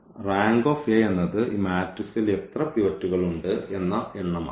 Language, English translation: Malayalam, Rank of A will be from this matrix how many pivots are there